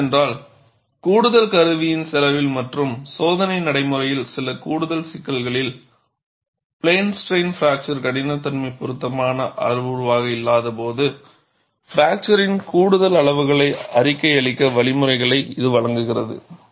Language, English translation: Tamil, And what it does is, at the expense of additional instrumentation and some increased complexity in the test procedure, it provides the means for reporting additional measures of fracture, when plane strain fracture toughness is not an appropriate parameter